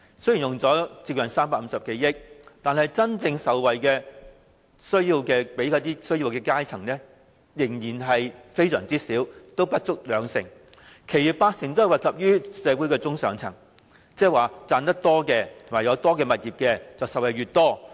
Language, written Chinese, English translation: Cantonese, 雖然政府用了接近350多億元，但真正惠及有需要階層的仍然少至不足兩成，其餘八成均惠及社會的中上層，即是賺錢越多、擁有物業越多的便受惠越多。, The Government will spend nearly 35 billion on handing out sweeteners but the proportion of this money that can really benefit the social strata in real need is still less than 20 % . The remaining 80 % will be used to benefit the middle and upper classes in society . In other words the more income and properties you have the more benefit you will receive